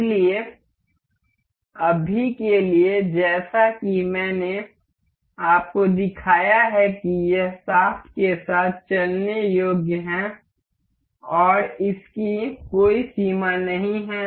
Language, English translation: Hindi, So, for now as I have shown you that this is movable to along the shaft and it does not have any limit